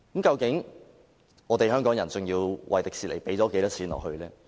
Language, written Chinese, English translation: Cantonese, 究竟香港人要為迪士尼投入多少錢呢？, How much money actually do Hong Kong people have to inject into Disneyland?